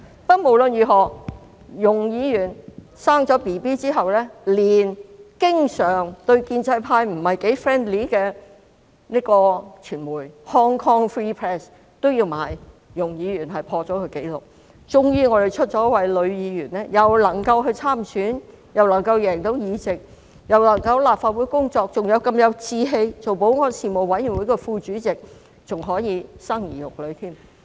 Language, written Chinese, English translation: Cantonese, 不過，無論如何，容議員產子之後，連經常對建制派不太友善的傳媒 Hong Kong Free Press 都有報道，說容議員破了紀錄，因為建制派終於有一位女議員既能夠參選，又能夠勝選在立法會工作，還如此有志氣出任保安事務委員會副主席，更可以生兒育女。, Anyway after Ms YUNG has given birth even the Hong Kong Free Press a media organization that is usually not so friendly with the pro - establishment camp said Ms YUNG broke a record because the pro - establishment camp eventually had a female Member who got elected in an election and worked in the Legislative Council had the lofty aspiration to serve as the Deputy Chairman of the Panel on Security and at the same time gave birth to and raised children